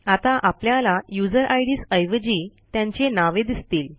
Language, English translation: Marathi, Now we can see the names of the users instead of their ids